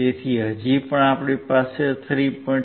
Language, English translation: Gujarati, So, still we had 3